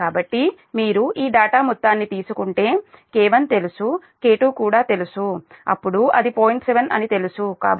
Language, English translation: Telugu, so so if you, if you take all this data, that then k one is known, k two, also then known, it is point seven